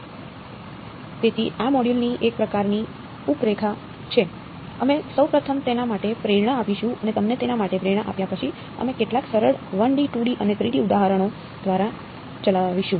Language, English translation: Gujarati, So, there is a sort of outline of this module, we will first of all give a motivation for it and after giving you the motivation for it we will run through some simple 1D, 2D and 3D examples ok